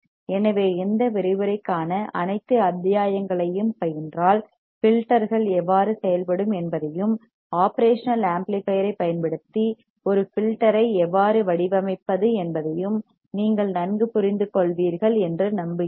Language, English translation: Tamil, So, just go through all the modules for this lecture and I am hoping that you will understand better about how the filters would work and how we can design a filter using operational amplifier alright